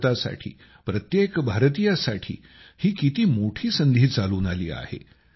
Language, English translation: Marathi, What a great opportunity has come for India, for every Indian